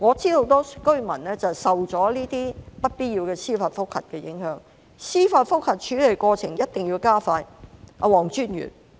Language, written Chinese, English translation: Cantonese, 因為我知道很多居民受到這些不必要的司法覆核的影響，所以司法覆核處理過程一定要加快。, I think that the relevant definitions should be tightened because as far as I know many residents are affected by these unnecessary JR cases . For that reason we should expedite the handling of JR applications